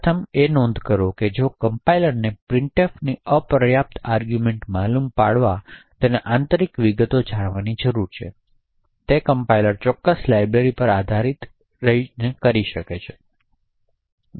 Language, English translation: Gujarati, First note that if a compiler has to detect such insufficient arguments to printf it would need to know the internal details of printf therefore it would make the compiler dependent on a specific library